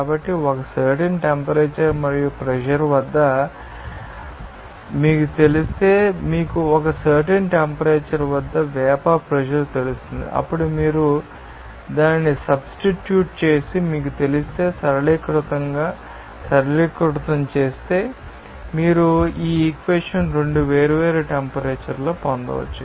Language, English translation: Telugu, So, at a particular temperature and pressure if you know that, you know vapour pressure at a particular temperature you know that vapour pressure then if you substitute it and then if you know, simplify it you can get this equation at 2 different temperatures